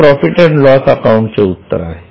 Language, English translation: Marathi, This is the profit and loss account